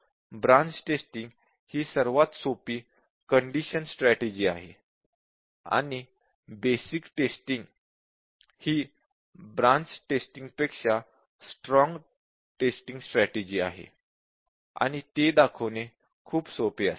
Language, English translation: Marathi, So, the branch testing is the simplest strategy is condition strategy, and the basic condition is stronger strategy then branch testing, that would be very easy to show